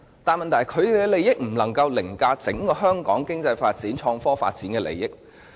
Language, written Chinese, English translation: Cantonese, 但問題是，他們的利益不能凌駕香港經濟發展和創科發展的整體利益。, But the problem is their interests cannot override the overall interest in the development of the Hong Kong economy and innovation and technology